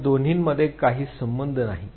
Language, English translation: Marathi, There is no connection between the two